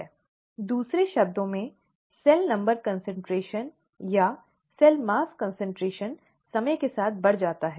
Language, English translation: Hindi, In other words, the cell number concentration or the cell mass concentration increases with time